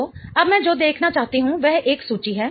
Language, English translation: Hindi, So, now what I want to look at is a table